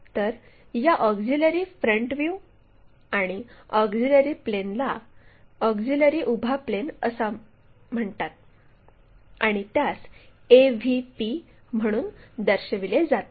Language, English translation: Marathi, So, that auxiliary front view and the auxiliary plane is called auxiliary vertical plane and denoted as AVP